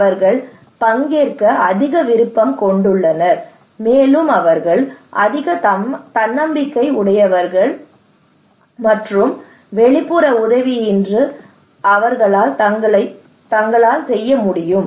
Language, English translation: Tamil, They have more willingness to participate, and they are more self reliant, and they can do by themselves without external help